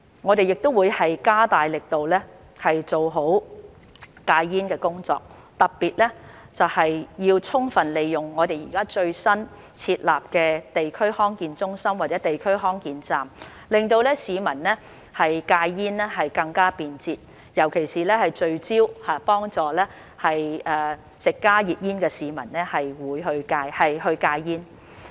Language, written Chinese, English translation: Cantonese, 我們亦會加大力度做好戒煙工作，特別是要充分利用我們現在最新設立的地區康健中心或地區康健站，令市民戒煙更加便捷，尤其聚焦幫助吸食加熱煙的市民戒煙。, We will also step up our efforts in smoking cessation . In particular we will make full use of our newly - established District Health Centres DHC or DHC Expresses to make it easier for the public to quit smoking and especially focus on helping HTP smokers to quit smoking